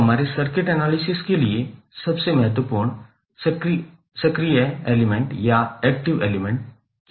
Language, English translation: Hindi, So, what are the most important active elements for our circuit analysis